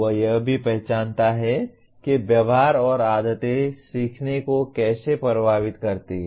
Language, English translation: Hindi, He also recognizes how attitudes and habits influence learning